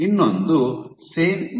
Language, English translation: Kannada, The other one is Sen